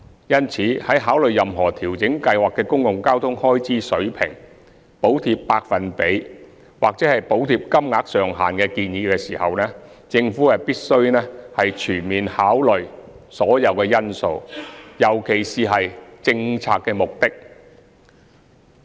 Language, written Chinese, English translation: Cantonese, 因此，在考慮任何調整計劃的公共交通開支水平、補貼百分比或補貼金額上限的建議時，政府必須全面考慮所有因素，尤其是政策目的。, Hence the Government has to take into account all factors in particular policy objective when considering any proposal to adjust the Schemes level of public transport expenses subsidy rate or subsidy cap